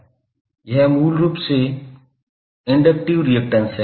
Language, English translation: Hindi, This term is basically the inductive reactance